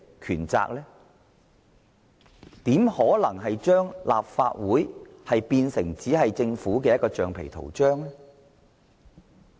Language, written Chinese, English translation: Cantonese, 他怎可能把立法會變成政府的橡皮圖章？, How can he turn the Legislative Council into a rubber stamp of the Government?